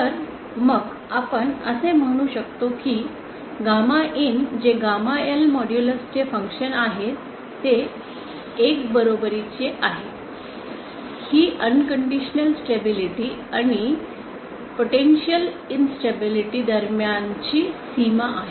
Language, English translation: Marathi, So then, can we say that the condition that gamma in which is a function of gamma L modulus becomes equal to 1 this is the boundary between unconditional stability and potential instability